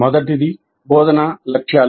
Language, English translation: Telugu, The first one is instructional objectives